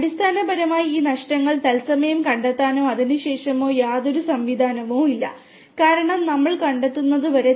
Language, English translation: Malayalam, And there is no mechanism over there to basically detect these losses in real time or and then, because until unless we detect